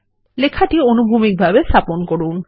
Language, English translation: Bengali, Text is placed horizontally